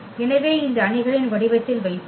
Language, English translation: Tamil, So, let us put in this matrix form